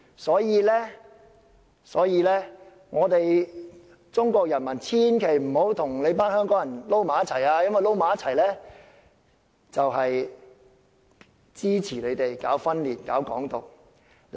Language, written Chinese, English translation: Cantonese, 所以，中國人民千萬不要跟香港人混在一起，因為混在一起就是支持搞分裂、搞"港獨"。, So Chinese people must never mix with Hong Kong people because that will mean supporting separatism and advocating Hong Kong independence